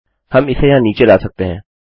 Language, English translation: Hindi, We can bring it down here